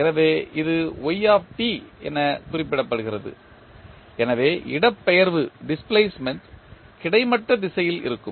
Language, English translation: Tamil, So, it is represented with y t, so displacement will be in the horizontal direction